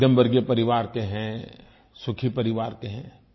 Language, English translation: Hindi, We all belong to the middle class and happy comfortable families